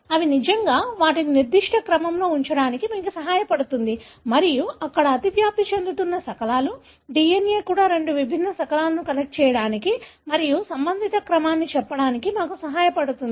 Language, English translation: Telugu, That really helps you to relate and position them in certain order and that’s where the overlapping fragments, even the DNA helps us to connect two different fragments and tell the relative order